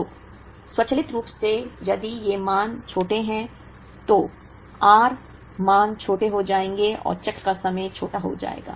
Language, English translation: Hindi, So, automatically if these values are smaller, the r values will becomes smaller and the cycle time will be smaller